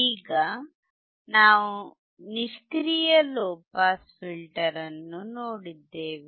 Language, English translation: Kannada, Now, we have seen the low pass passive filter